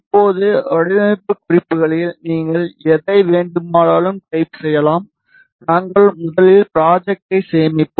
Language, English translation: Tamil, Now, you can type in whatever you want in the design notes and we will first save the project